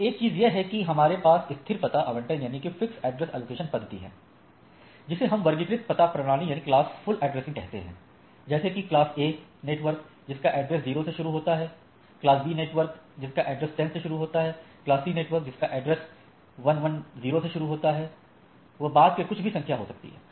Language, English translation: Hindi, So, one is that we have some fixed address allocation or we say classful addressing right like class A address which starts with a 0 and star class B address 10 rest anything after that, class C address 110